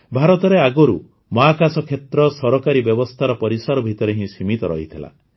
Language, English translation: Odia, Earlier in India, the space sector was confined within the purview of government systems